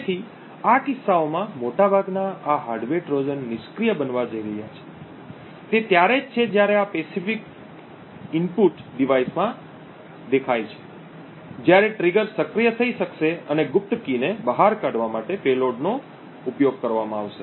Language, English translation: Gujarati, Therefore, in most of these cases this hardware Trojan is going to be passive, it is only when this pacific input appears to the device would the trigger be activated and the payload be used to leak out the secret key